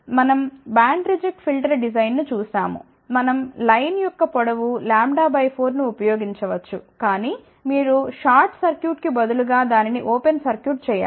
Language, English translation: Telugu, We looked at the design of band reject filter, we can use same line length of lambda by 4 , but instead of shot circuit over here if you make it open